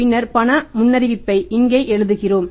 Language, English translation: Tamil, We put it days here and then we write here the cash forecast